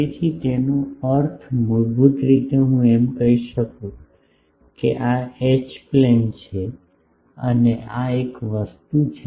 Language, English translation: Gujarati, So; that means, basically I can say that, this is the H plane and this is the a thing